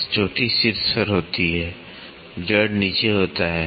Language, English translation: Hindi, So, crest happens on the top, root happens at the bottom